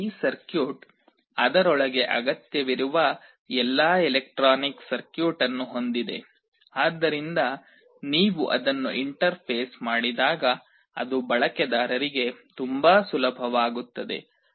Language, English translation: Kannada, This circuit has all the required electronic circuit inside it, so that when you interface it, it becomes very easy for the user